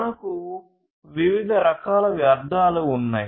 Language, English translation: Telugu, So, there are different types of wastes